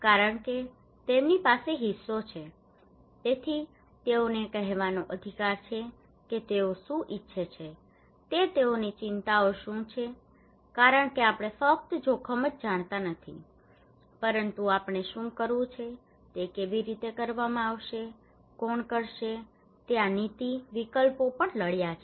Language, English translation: Gujarati, Because they have the stake so they have the right to tell us that what they want what is the concerns they have because we know not only the risk but what is to be done when do we done, how it will be done, who will do it, these policy options are also contested